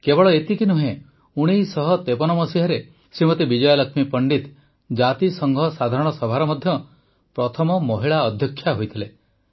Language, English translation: Odia, Vijaya Lakshmi Pandit became the first woman President of the UN General Assembly